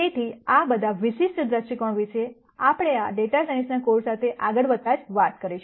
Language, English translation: Gujarati, So, all of those viewpoints we will talk about as we go forward, with this data science course